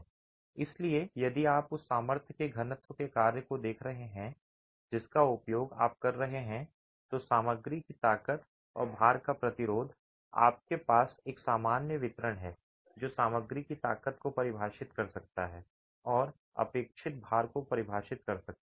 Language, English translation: Hindi, So, if you were to look at this probability density function of the strength of the material that you are using, the resistance of the material and of the loads, you have a standard normal distribution that can define the material strengths and define the expected loads on the system itself